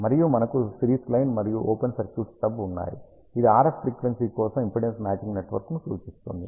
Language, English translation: Telugu, And we have a series line and the open circuited stub which represents impedance matching network for the RF frequency